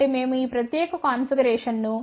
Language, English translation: Telugu, So, we had designed this particular configuration for 22